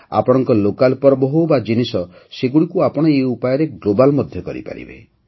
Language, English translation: Odia, Be it your local festivals or products, you can make them global through them as well